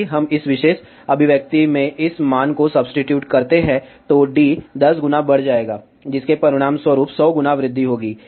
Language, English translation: Hindi, If we substitute this value in this particular expression, d will increase by 10 times, resulting into gain increase of 100 time